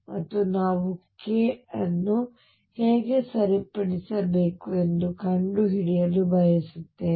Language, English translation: Kannada, And also we want to find how to fix k